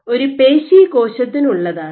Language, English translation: Malayalam, So, this is for a muscle cell